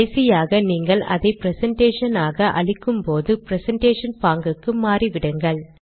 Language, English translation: Tamil, Finally of course, when you make the presentation, you may want to use the presentation mode